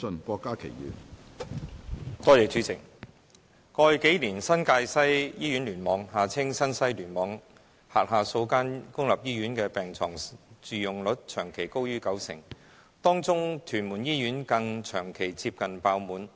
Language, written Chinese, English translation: Cantonese, 主席，過去數年，新界西醫院聯網轄下數間公立醫院的病床住用率長期高於九成，當中的屯門醫院更長期接近爆滿。, President in the past few years the bed occupancy rates of several public hospitals under the New Territories West Cluster were persistently above 90 % . Among such hospitals the wards in Tuen Mun Hospital TMH were even persistently close to fully occupied